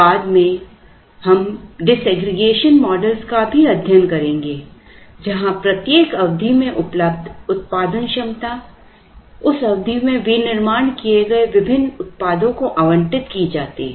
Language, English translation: Hindi, Later we would also be studying disaggregation models, where the production capacity that is available in each period is, now allocated to the various products that are made